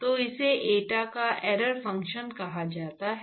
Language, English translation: Hindi, So, this is called the error function of eta